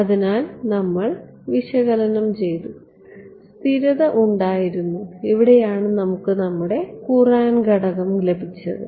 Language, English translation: Malayalam, So, we looked at we did analysis, convergence we did and stability this is where we got our Courant parameter right